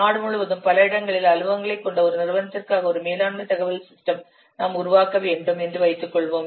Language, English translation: Tamil, A management information system, suppose you have to develop for an organization which is having offices at several places across the country